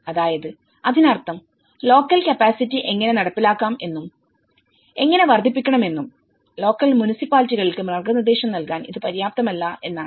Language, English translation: Malayalam, So, which means it is not adequate enough to guide the local municipalities how to enforce the local capacity to enhance the local capacities